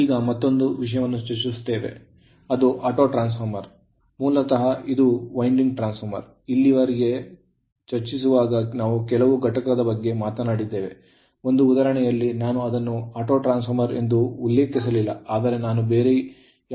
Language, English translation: Kannada, Another things is Autotransformer that your what you call that basically it is a your two winding transformer right; Autotransformer and so, so far whatever I have talked knowsomething I have said also; one example is also not means an Autotransformer, but some instrument name I have taken